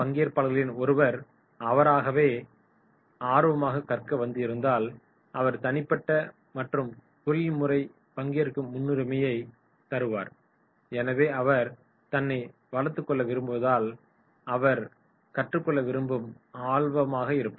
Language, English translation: Tamil, So if it is a learner, the trainee has come to learn then his priority will be personal and professional growth so he is very keen to learn because he wants to develop himself